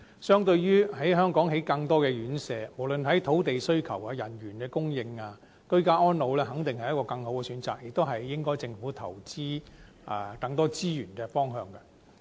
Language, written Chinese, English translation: Cantonese, 相對於在香港興建更多院舍，不論是在土地需求或人員的供應方面，居家安老肯定是更好的選擇，亦應該是政府投資更多資源的方向。, Ageing in place is definitely a better choice and the direction for the allocation of more Government resources than the construction of more residential care homes of the elderly RCHEs taking into account of the demand for land sites and the manpower supply